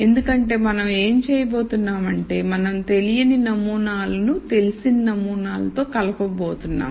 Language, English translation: Telugu, Because what we are going to do is we are going to relate unknown samples to known samples